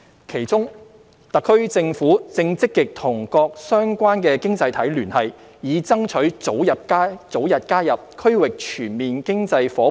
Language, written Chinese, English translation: Cantonese, 其中，特區政府正積極與各相關經濟體聯繫，以爭取早日加入 RCEP。, Amongst its efforts the SAR Government is actively engaging member economies of the RCEP Agreement to strive for its early accession